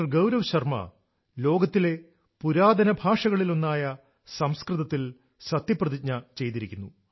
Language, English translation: Malayalam, Gaurav Sharma took the Oath of office in one of the ancient languages of the world Sanskrit